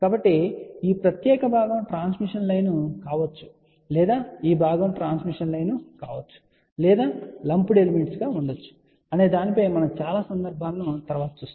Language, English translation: Telugu, So, we will see many cases later on where this particular component may be a transmission line or this component may be a transmission line or there may be some lump element